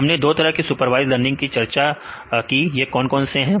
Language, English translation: Hindi, So, we discussed about 2 types of supervised learning what are 2 types of supervised learning